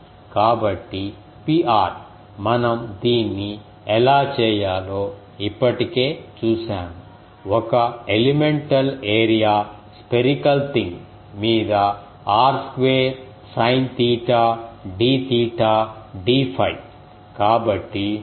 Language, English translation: Telugu, So, P r is we have already seen how to do it, over an elemental area spherical thing r square sin theta d theta d phi